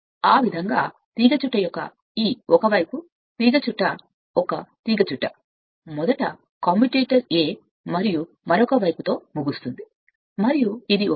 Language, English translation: Telugu, So, in that way this one side of the coil right one coil that is first end with a segment of the commutator a, and other side and it is a plus